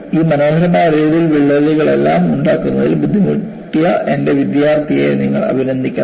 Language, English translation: Malayalam, You should congratulate my student, who had taken the trouble of making all these beautiful radial cracks